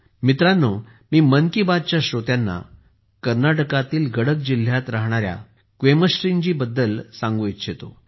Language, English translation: Marathi, Friends, I would also like to inform the listeners of 'Mann Ki Baat' about 'Quemashree' ji, who lives in Gadak district of Karnataka